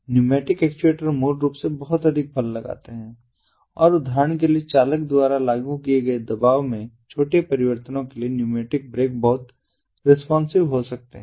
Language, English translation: Hindi, pneumatic actuators basically exert a lot of force and, for example, the pneumatic brakes can be very responsive to small changes in pressure that are applied by the driver